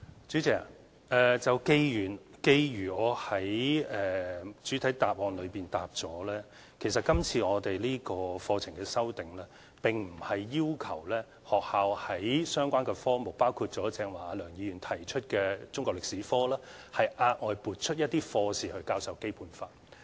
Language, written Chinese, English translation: Cantonese, 主席，正如我主體答覆所說，這次課程修訂，並不是要求學校在相關科目，包括梁議員剛才提出的中國歷史科，額外撥出一些課時去教授《基本法》。, President as I said in the main reply this curriculum revision does not require schools to allocate any lesson hours of relevant subjects specially for teaching the Basic Law and this includes the subject of Chinese History mentioned earlier by Mr LEUNG